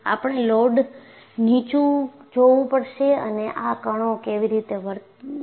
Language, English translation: Gujarati, And we have to see under loads, how do these particles behave